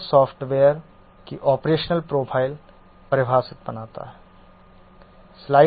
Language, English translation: Hindi, This forms the operational profile definition of the software